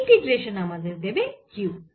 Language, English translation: Bengali, so the integration gifts q